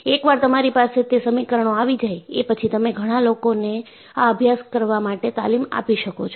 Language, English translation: Gujarati, Once, you have it as equations and then you can train many people to practice this